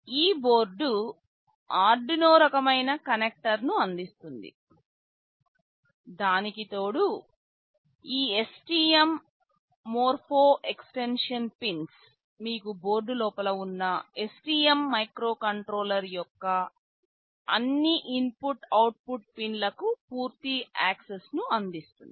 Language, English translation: Telugu, In addition to that, this STM Morpho extension pins provide you full access to all the input output pins of the STM microcontroller that is sitting inside the board